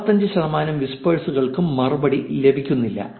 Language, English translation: Malayalam, 55 percent of the replies, 55 percent of the whispers don't get a reply